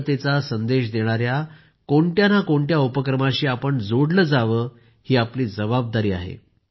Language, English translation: Marathi, It is our duty that we must associate ourselves with some activity that conveys the message of national unity